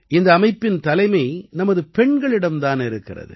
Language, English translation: Tamil, This society is led by our woman power